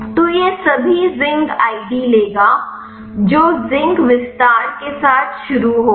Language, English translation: Hindi, So, it will take all the zinc ids which will start with zinc extension